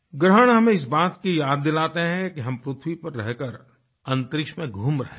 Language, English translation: Hindi, The eclipse reminds us that that we are travelling in space while residing on the earth